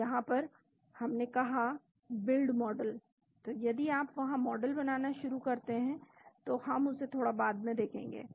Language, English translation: Hindi, So, in this case we have said build model so if you start there building models we will see that little bit later